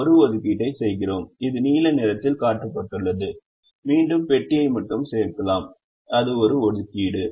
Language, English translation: Tamil, we make an assignment which is shown in the blue color, and again let me add the box just to show that it is an assignment